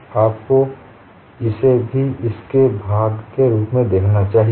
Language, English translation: Hindi, So, you should also look at that as part of this